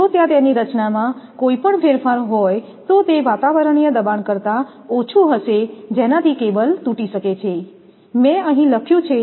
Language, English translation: Gujarati, If void formation is there then it will be less than that atmospheric pressure this can lead to cable break down here I have written here